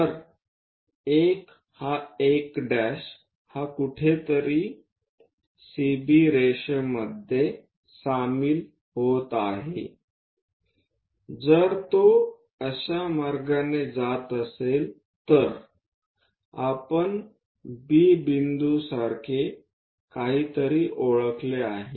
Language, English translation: Marathi, So, 1 is this 1 dash is somewhere is joining CB line somewhere, if it is passing in that way we have identified something like B point